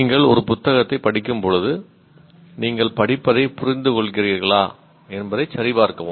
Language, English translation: Tamil, When you read a book, you will obviously check that you are understanding what you are reading